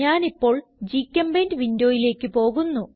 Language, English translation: Malayalam, I will switch to GChemPaint window